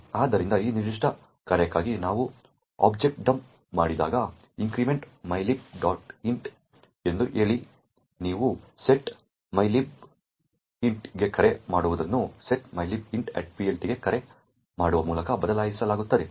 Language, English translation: Kannada, So, when we do the object dump for this particular function say increment mylib int, what you see the call to setmylib int is replaced with a call to setmylib int at PLT